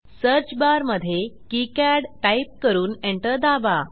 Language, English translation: Marathi, In the search bar type KiCad and press Enter